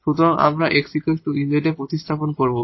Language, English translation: Bengali, So, we have to replace this v for 1 plus x